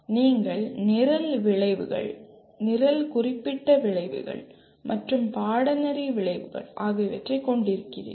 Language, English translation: Tamil, Then you have Program Outcomes, Program Specific Outcomes and Course Outcomes